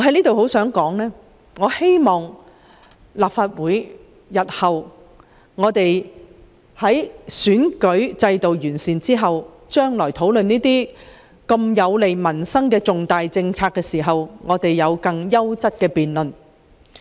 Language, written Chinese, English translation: Cantonese, 但願日後在完善立法會的選舉制度後，能在討論這些有利民生的重大政策時進行更優質的辯論。, It is my hope that after the electoral system of the Legislative Council has been improved debates of a higher quality can be conducted in the future during our discussion on major policies which are beneficial to peoples livelihood